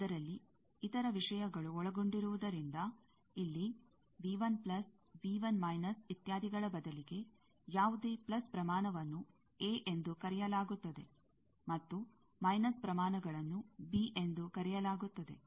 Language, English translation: Kannada, Since there are other things involved, so, instead of V 1 plus, V 1 minus, etcetera, here, any plus quantity is called as a, and minus quantities are called as b